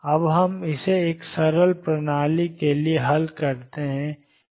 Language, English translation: Hindi, Now let us solve this for a simple system